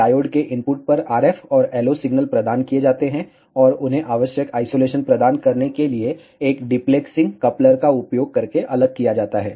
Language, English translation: Hindi, The RF and LO signal are provided at the input of the diode, and they are separated using a diplexing coupler to provide the necessary isolation